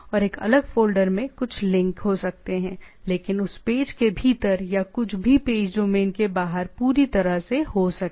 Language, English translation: Hindi, And something in a different folder, so that link, but within that page or something can be totally outside the page domain itself